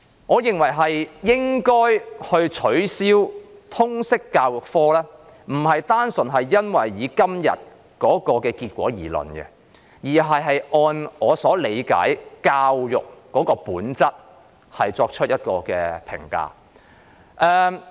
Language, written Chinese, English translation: Cantonese, 我認為應該取消通識科，並非單純基於今天的結果，而是基於我對教育的本質的理解。, I consider that the LS subject should be removed not only because of the outcome today but because of my understanding of the nature of education